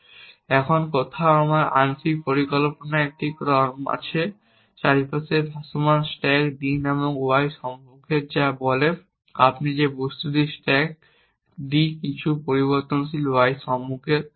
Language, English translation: Bengali, And now somewhere in my partial plan, there is a action floating around called stack d onto y which says that you stack this object d onto some variable y